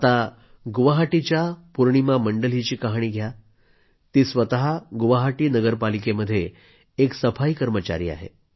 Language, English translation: Marathi, Now take the example of Purnima Mandal of Guwahati, a sanitation worker in Guwahati Municipal Corporation